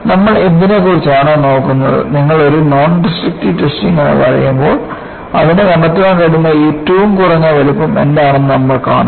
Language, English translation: Malayalam, So, what we will go about is, when you say a nondestructive testing, we will see that what the minimum size it can detect